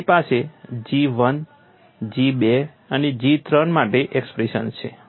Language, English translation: Gujarati, You have expressions for G 1, G 2 and G 3